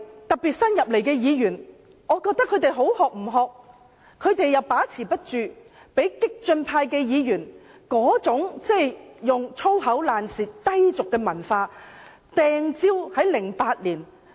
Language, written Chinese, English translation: Cantonese, 特別是新進的立法會議員，他們好的不學，又把持不住，被激進派議員那種"粗口爛舌"、低俗文化感染。, The new Members in particular have not learnt the good practices and without a strong sense of self control they soon pick up from the radical Members the culture of vulgarity and the use of foul language